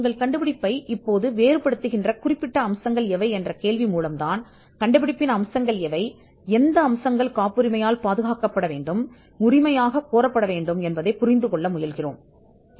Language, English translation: Tamil, Specific features, that distinguish your invention now the specific features is, where we try to understand the inventive features and the ones that have to be patented, that has to be claimed